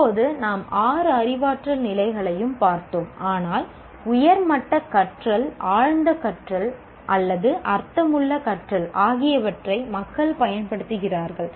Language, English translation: Tamil, Now we looked at all these six cognitive levels, but people also use what are called higher orders of learning, deep learning or meaningful learning